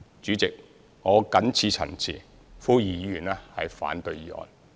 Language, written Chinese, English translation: Cantonese, 主席，我謹此陳辭，呼籲議員反對議案。, With these remarks President I implore Members to oppose the motion